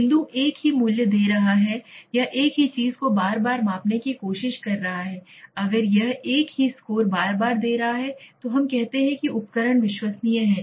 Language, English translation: Hindi, The point is giving the same value or trying to measure the same thing again and again or what is intended if it is giving the same score repeatedly then we say that is reliable instrument okay